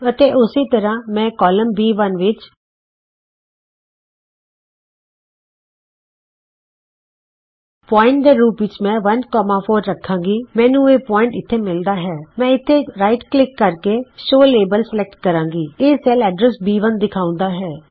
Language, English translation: Punjabi, And similarly I will in column B I will 1,4 as a point I get this point here I can right click and say show label it shows B1 the cell address